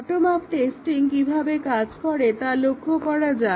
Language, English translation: Bengali, Let us see how the bottom up testing will work